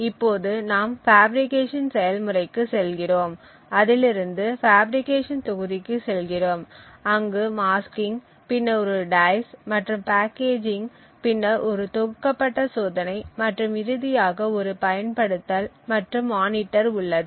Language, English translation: Tamil, Now then we have a process of fabrication it goes to the fabrication unit there is a masking, then there is a dice and packaging, then there is a packaged test and finally a deployment and monitor